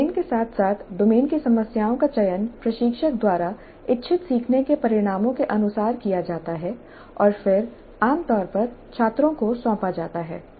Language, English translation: Hindi, The domain as well as the problems in the domain are selected by the instructor in accordance with the intended learning outcomes and are then typically assigned to the students